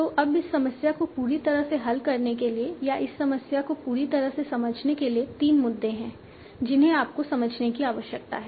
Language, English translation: Hindi, So now to completely solve this problem or to completely understand this problem, there are three issues that you need to understand